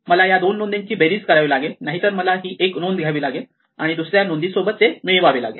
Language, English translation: Marathi, These two entries I have to sum up; otherwise, I have to take this entry and sum it up with this entry